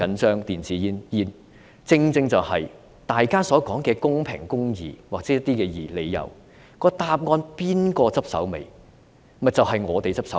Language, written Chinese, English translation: Cantonese, 正正因為大家所說的公平公義，或類似的理由，由誰負責收拾殘局呢？, It is precisely because of the fairness and justice that everyone talks about or similar reasons . Who will clean up the mess?